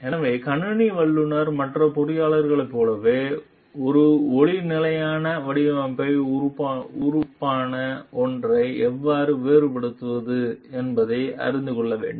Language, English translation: Tamil, So, computer professionals, also like other engineers need to know how to distinguish between something which is a light standard design element